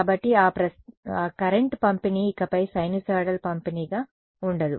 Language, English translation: Telugu, So, that current distribution will no longer be a sinusoidal distribution